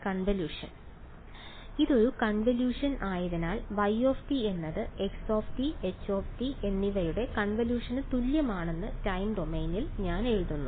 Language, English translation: Malayalam, If a convolution right so I just write it in time domain I write this as y is equal to the convolution of x and h alright pretty straight forward